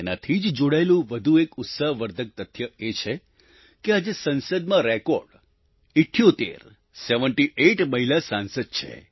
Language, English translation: Gujarati, Another encouraging fact is that, today, there are a record 78 women Members of Parliament